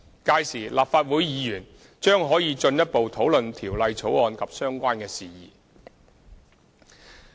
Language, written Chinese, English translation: Cantonese, 屆時，立法會議員將可以進一步討論條例草案及相關事宜。, Legislative Council Members can further discuss the bill and related matters